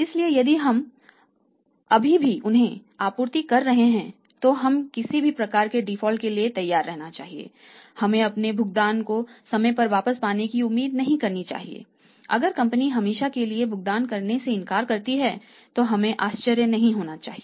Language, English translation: Hindi, So, if still we are supplying to that we should be prepared for any kind of the default we should not expect our payment coming back to us on time or sometime if we should not be surprised if the firm refuses to make the payment was forever